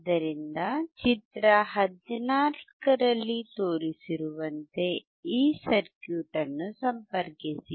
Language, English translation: Kannada, So, connect this circuit as shown in figure 14